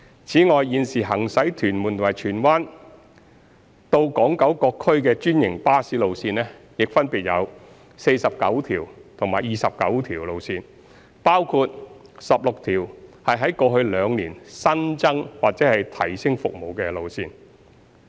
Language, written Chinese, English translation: Cantonese, 此外，現時行駛屯門及荃灣至港九各區的專營巴士路線，亦分別有49條及29條路線，包括16條在過去兩年新增或提升服務的路線。, On franchised buses 49 and 29 franchised bus routes are now running to various districts on Hong Kong Island and Kowloon from Tuen Mun and Tsuen Wan respectively of which the service of 16 routes was introduced or enhanced over the past two years